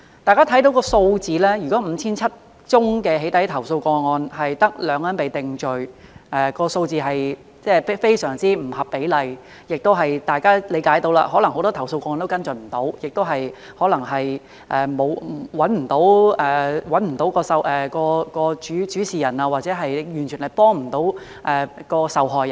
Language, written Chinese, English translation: Cantonese, 大家看到數字 ，5,700 宗"起底"投訴個案，卻只有2人被定罪，這數字是非常不合比例，大家亦能理解，可能很多投訴個案無法跟進，可能找不到主事人，或完全未能幫助受害人。, When Members see the figures that only two people have been convicted in 5 700 doxxing complaints they may think that the rate is seriously disproportionate . But Members may understand the reason Perhaps it is impossible to conduct follow - up in many complaint cases; perhaps the data subject cannot be located; or perhaps there is utterly no way to help the victim